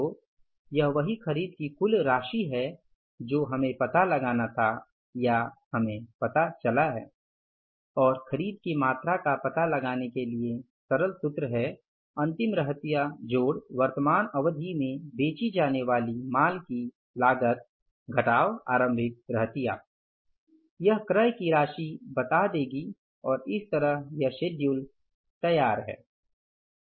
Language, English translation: Hindi, So this is the total amount of the purchases we had to find out or we have found out and the simple formula for finding out the amount of purchases is closing inventory plus cost of goods to be sold in the current period minus opening inventory will give you the amount of purchases